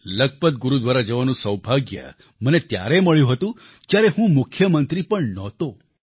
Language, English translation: Gujarati, I had the good fortune of visiting Lakhpat Gurudwara when I was not even the Chief Minister